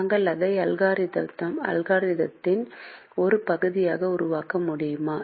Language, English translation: Tamil, we have not made it a part of the algorithm